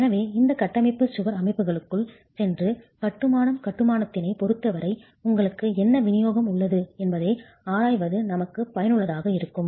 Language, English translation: Tamil, So it is useful for us to go and examine within the structural wall systems what distribution do you have as far as masonry constructions are concerned